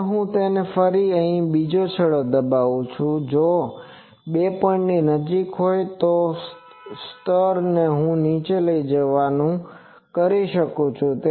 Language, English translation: Gujarati, Now, I pin it again another point so, if these 2 points are nearby then I can make the level go down